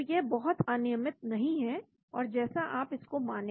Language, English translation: Hindi, so it is not very random and as you feel like